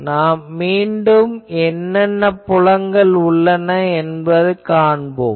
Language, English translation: Tamil, So, we right now that again we write what are the fields